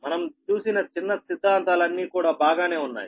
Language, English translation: Telugu, whatever little bit theories we have seen, that is fine